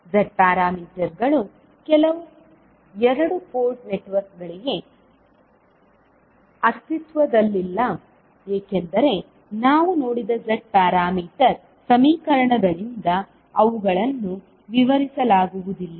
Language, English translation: Kannada, The Z parameters does not exist for some of the two port networks because they cannot be described by the Z parameter equations which we saw